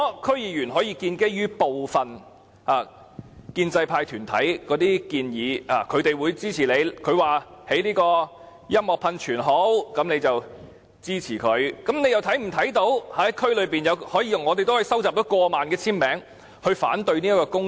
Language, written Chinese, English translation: Cantonese, 區議員可以基於部分建制派團體的支持而建議興建音樂噴泉，他們是有支持的，但我們也可以收集過萬簽名來反對該項工程。, While DC members may propose the construction of a music fountain on the grounds that they are supported by some pro - establishment groups we can also collect more than 10 000 signatures to oppose the project